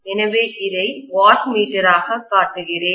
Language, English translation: Tamil, So I am showing this as the wattmeter